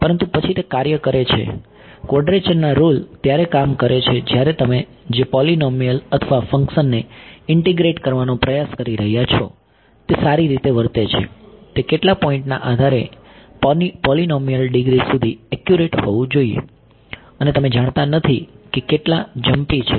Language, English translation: Gujarati, Yeah, but then that works quadrature rule works when the polynomial or function that you are trying to integrate is well behaved right, it should be it will be accurate up to polynomial degree of so much depending on how many points and you do not know you do not know how jumpy this electric field is going to be